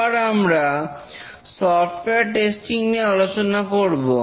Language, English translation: Bengali, We will now discuss about software testing